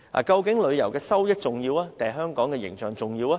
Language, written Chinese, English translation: Cantonese, 究竟旅遊收益重要，還是香港的形象重要？, Which is actually more important proceeds from tourism or the image of Hong Kong?